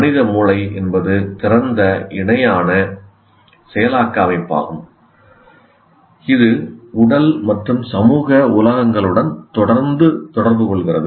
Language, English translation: Tamil, And the human brain is an open parallel processing system continually interacting with physical and social worlds outside